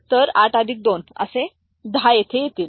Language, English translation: Marathi, So, 8 plus 2, 10 will be there